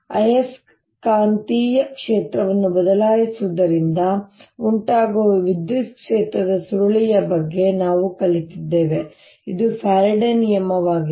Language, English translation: Kannada, then we have learnt about curl of electric field arising due to changing magnetic field, which is the faraday's law